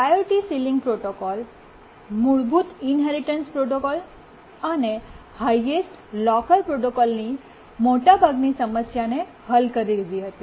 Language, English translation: Gujarati, The priority sealing protocol overcame most of the problem of the basic inheritance protocol and the highest locker protocol